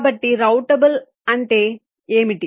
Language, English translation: Telugu, so what is meant by routable